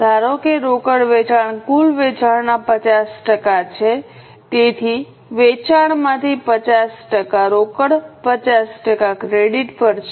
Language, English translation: Gujarati, We have got cash sales which are 50% of sales and remaining 50% is credit sales